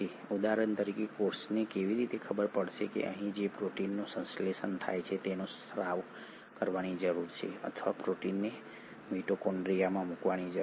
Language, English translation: Gujarati, For example how will a cell know that a protein which is synthesised here needs to be secreted or a protein needs to be put into the mitochondria